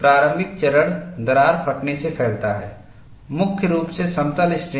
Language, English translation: Hindi, Initial stages crack propagates by tearing, predominantly plane strain